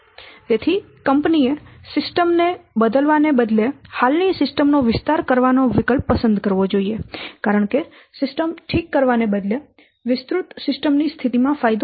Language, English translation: Gujarati, So, the company should choose the option of extending the existing system rather than replacing the system because the benefit will be more in case of extending system rather than replacing the system